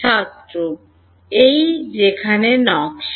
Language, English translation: Bengali, The design of where this